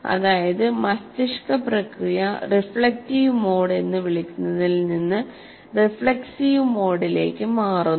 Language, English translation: Malayalam, That means the brain process shifts from what is called reflective mode to reflexive mode